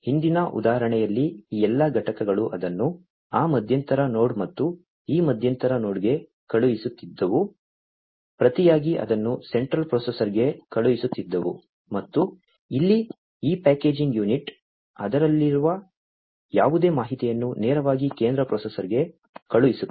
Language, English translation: Kannada, In the previous example all these units, were sending it to that intermediate node and this intermediate node, in turn was sending it to the central processor and over here, this packaging unit, whatever information it has it sends it directly to the central processor